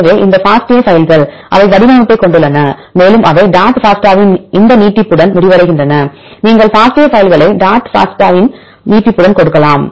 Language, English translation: Tamil, So, these FASTA files, they have the format and they also end with this extension of dot FASTA, that you can give the FASTA files with the extension of dot FASTA